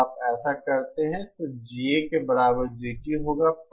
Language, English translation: Hindi, When you do this, the GT will be equal to GA